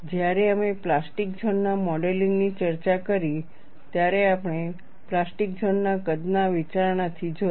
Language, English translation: Gujarati, When we discussed modeling of plastic zone, we looked at from the plastic zone size consideration